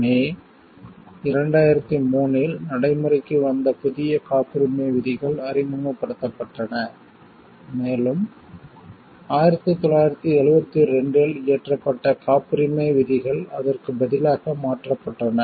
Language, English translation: Tamil, New patent rules were introduced which came into force on May 2003 and earlier patent rules passed in 1972 was replaced by it